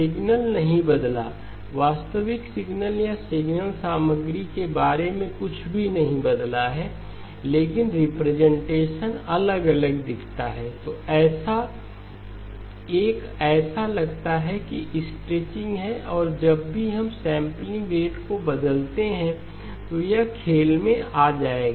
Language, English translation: Hindi, The signal did not change, nothing has changed about the actual signal or the signal contents but the representation looks different, one looks like there is a stretching and this is what will come into play whenever we do the changing of the sampling rate and that is where it is very important for us to keep in mind